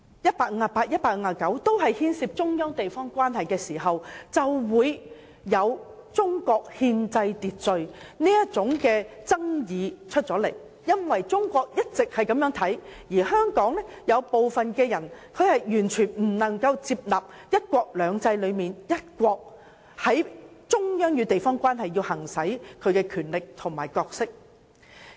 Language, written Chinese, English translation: Cantonese, 這就是為何會出現這種關乎中國憲制秩序的爭議，因為中國的看法一直如此，但香港有部分人卻完全無法接納"一國兩制"中的"一國"，故中央在其與地方的關係上要行使其權力和角色。, That is why such disputes concerning the constitutional order of China will arise . While China always sees it this way some people in Hong Kong find the one country in one country two systems totally unacceptable . For this reason the Central Government has to exercise its powers and role in its relationship with its local administrative region